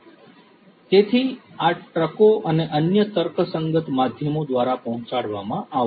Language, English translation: Gujarati, So, these are going to be delivered through trucks and other logistic means etc